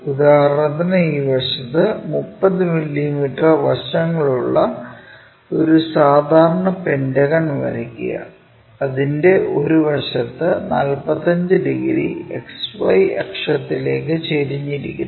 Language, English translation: Malayalam, For example, on this slide, draw a regular pentagon of 30 mm sides with one side is 45 degrees inclined to XY axis